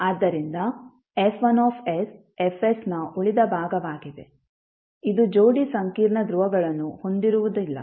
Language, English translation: Kannada, So, F1s is the remaining part of Fs, which does not have pair of complex poles